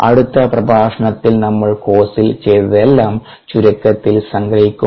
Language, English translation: Malayalam, in the next lecture let me summarize in brief it will be brief lecture what all we did in the course